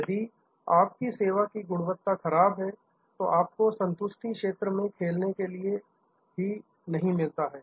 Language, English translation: Hindi, If your service quality is poor, then you do not even get to play in the satisfaction arena